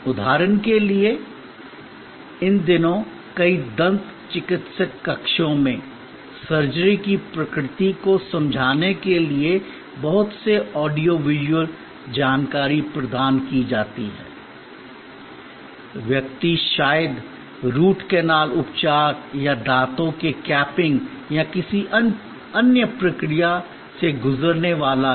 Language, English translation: Hindi, Like for example, these days in many dentist chambers, lot of audio visual information are provided to explain the nature of the surgery, the person is going to go through like maybe Root Canal Treatment or capping of the teeth or some other procedure